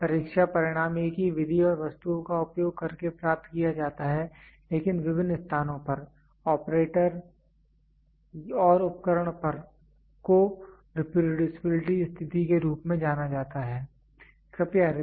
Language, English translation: Hindi, where the test results are obtained using same method and item, but in different place operator and the equipment is reproducibility condition